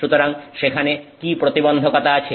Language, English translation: Bengali, So, what is the challenge there